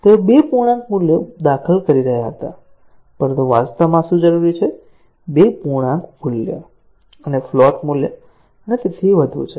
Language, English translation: Gujarati, They were inputting 2 integer values, but, what is needed actually, 2 integer value and a float value and so on